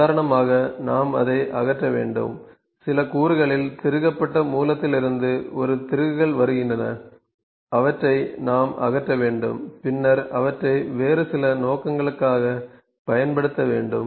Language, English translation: Tamil, We have to dismantle that, for instance; a set of screws come from the source which are just screwed on some component and we have to dismantle them and then to we have to use them in some other purpose